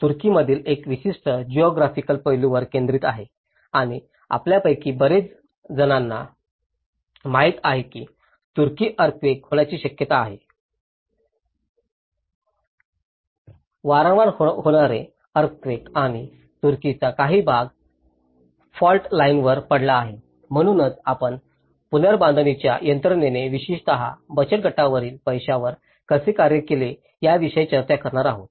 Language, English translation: Marathi, So, this is a focus on a particular geographical aspect in the Turkey and as many of you know that Turkey is prone to earthquake; frequent earthquakes and certain part of Turkey is lying on the fault line, so that is wherein we are going to discuss about how the reconstruction mechanisms have worked out especially, in the self help housing aspect